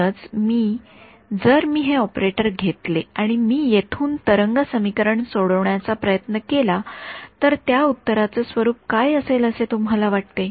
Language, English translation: Marathi, So, if I use if I take these operators and get try to solve wave equation from here do you think the form of the solution